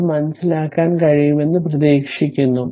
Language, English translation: Malayalam, Hope it is understandable to you